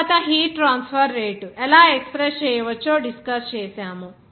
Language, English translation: Telugu, Next we will discuss how rate of heat transfer can be expressed